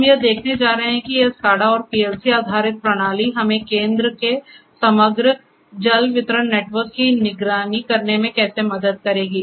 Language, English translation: Hindi, So, we are going to see how this SCADA and PLC based system will help us to monitor centrally the overall water distribution network